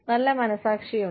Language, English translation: Malayalam, There is good conscience